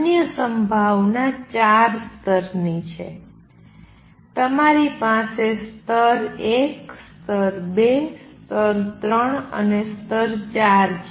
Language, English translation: Gujarati, Other possibility is four levels, you have 1, 2, 3, 4